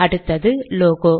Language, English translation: Tamil, The next one is logo